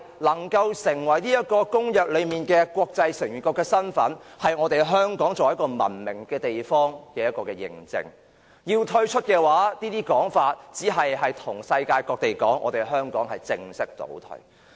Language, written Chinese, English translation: Cantonese, 可以成為公約中國際成員國的身份，其實便是香港作為一個文明地方的認證；如果要退出，便等於向世界各地表明香港是在正式倒退。, Hong Kongs status as a member state of an international convention is in fact a recognition that Hong Kong is a civilized place and if we withdraw from the convention we are in fact announcing to the world that Hong Kong is going backward